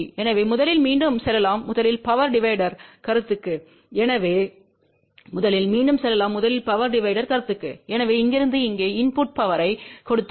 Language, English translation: Tamil, So first again let us go to the power divider concept first, so from here we gave input power here